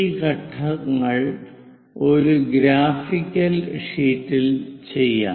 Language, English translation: Malayalam, Let us do that these steps on a graphical sheet